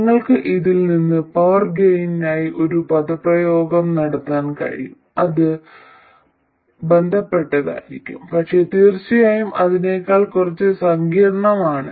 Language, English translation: Malayalam, And you can also from this make an expression for power gain which will be related but of course a little more complicated than this